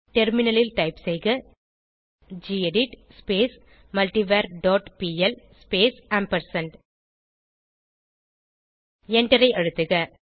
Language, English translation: Tamil, onTerminal type gedit multivar dot pl space ampersand and press Enter